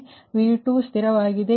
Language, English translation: Kannada, so v two is fixed